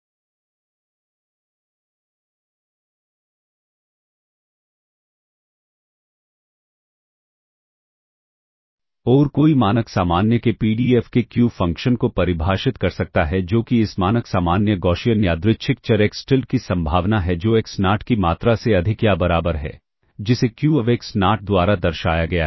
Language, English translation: Hindi, Once again sigma square equal to 1, this is the PDF of the Standard Normal and one can define the Q function of the PDF of the Standard Normal, that is the probability that this Standard Normal Gaussian Random Variable Xtilda is greater than or equal to a quantity xNot is denoted by Q of xNot